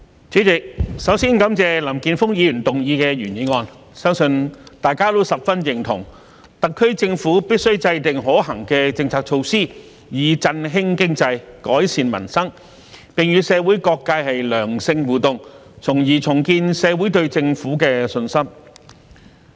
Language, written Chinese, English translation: Cantonese, 主席，首先感謝林健鋒議員提出原議案，相信大家都十分認同，特區政府必須制訂可行的政策措施，以振興經濟、改善民生，並與社會各界良性互動，從而重建社會對政府的信心。, President first of all I would like to thank Mr Jeffrey LAM for proposing the original motion . I believe we will all agree that the SAR Government should formulate feasible policy measures to boost the economy and improve peoples livelihood establish positive interaction with different sectors of society thereby rebuilding public confidence in the Government